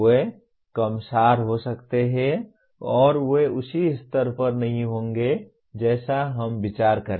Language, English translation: Hindi, They may be less abstract and they will not be at the same level as we would consider